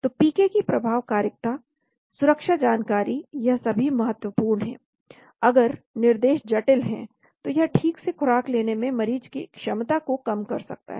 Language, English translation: Hindi, So PK efficacy, safety information all these is important, if instructions are complicated it may reduce the patient’s ability to properly dose